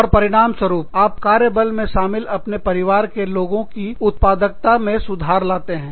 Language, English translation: Hindi, And, that in turn, improves the productivity of, the other people in your family, who are in the workforce